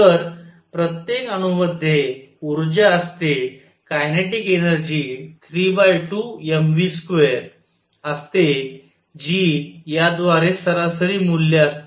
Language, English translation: Marathi, So, each atom has energies kinetic energy is 3 by 2 m v square which average value by this